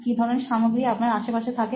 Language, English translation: Bengali, What kind of materials do you have around you when…